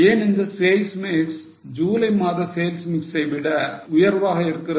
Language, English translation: Tamil, Why this sales mix is superior to sales mix of July